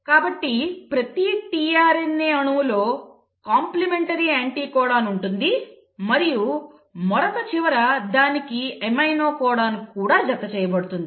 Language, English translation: Telugu, So each tRNA molecule in itself will have a complimentary anticodon and at the other end will also have an amino acid attached to it